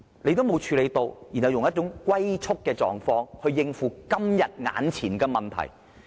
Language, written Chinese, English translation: Cantonese, 政府不做任何工夫，然後用"龜速"的反應來應付今天眼前的問題。, The Government did nothing and then responded at a snails pace in tackling the imminent problems today